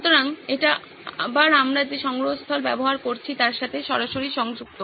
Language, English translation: Bengali, So this is again linked directly to the repository we are using